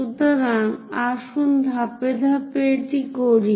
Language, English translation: Bengali, So, let us do that step by step, ok